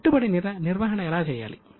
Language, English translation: Telugu, How do you invest